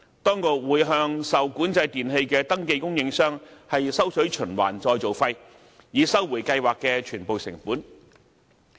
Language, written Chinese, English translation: Cantonese, 當局會向受管制電器的登記供應商收取循環再造費，以收回計劃的全部成本。, Recycling fees will be imposed on registered suppliers of REE to recover the full costs of the scheme